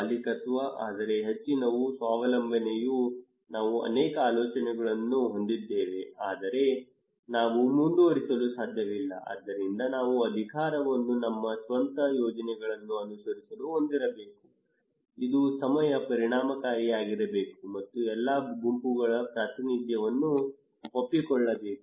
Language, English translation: Kannada, Ownership; but most is the self reliance we have many ideas but we cannot pursue so we should be empowered so that we can follow our own projects, it should be also time effective and representation of all groups is agreed